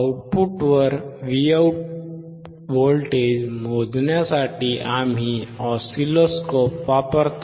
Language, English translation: Marathi, For voltage at output Vout we are using oscilloscope